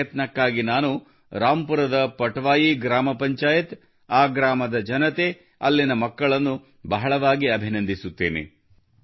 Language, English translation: Kannada, I congratulate the Patwai Gram Panchayat of Rampur, the people of the village, the children there for this effort